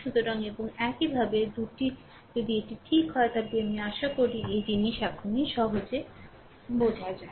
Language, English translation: Bengali, So, and similarly your i 2 if you just let me clear it, I hope this things are easy now understandable to you right